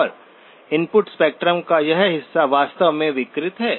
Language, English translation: Hindi, And this portion of the input spectrum is actually distorted